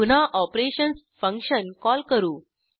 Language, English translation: Marathi, Again we call function operations